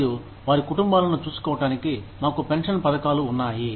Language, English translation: Telugu, And, so to take care of their families, we have pension schemes